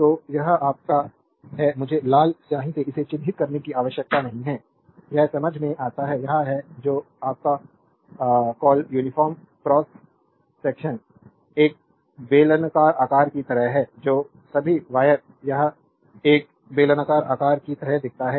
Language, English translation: Hindi, So, this is your I need not mark it by red ink it is understandable, this is a your what you call uniform cross section is like a cylindrical shape that all wire it looks like a cylindrical shape